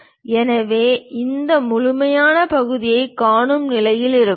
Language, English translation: Tamil, So, we will be in a position to see this complete portion